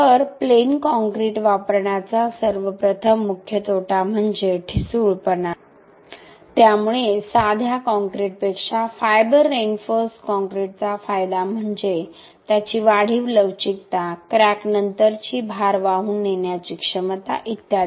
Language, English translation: Marathi, So, first of all the main disadvantage of using plain concrete is brittle failure, so the advantage of fiber reinforced concrete over plain concrete is, it is enhanced ductility, post crack load carrying capacity etc